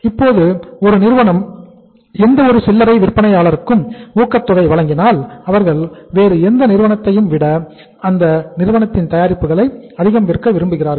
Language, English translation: Tamil, Now any retailer who is given a incentive by a company he would like to sell more of the products of that company rather than of any other company